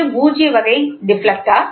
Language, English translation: Tamil, So, null type deflector